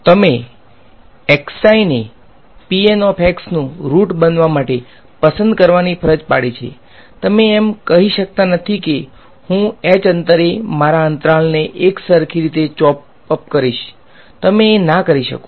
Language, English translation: Gujarati, You have forced to choose the x i’s to be the roots of p N x, you cannot just say I will uniformly chop up my interval at spacing h; you cannot do that